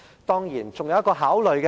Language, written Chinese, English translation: Cantonese, 當然，還有一點需要考慮。, Certainly we should consider one more point